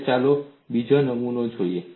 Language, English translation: Gujarati, Now, let us look at the second specimen